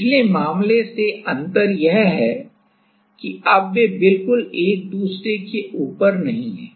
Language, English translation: Hindi, The difference from the last case is now they are not exactly on each other